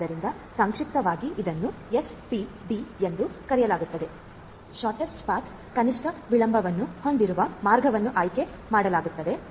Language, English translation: Kannada, So, in short this is known as SPD the shortest path which has that the path which has the least delay is going to be chosen